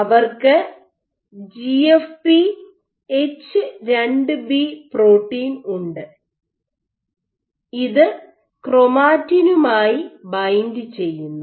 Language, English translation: Malayalam, So, they had GFP H2B, this binds to chromatin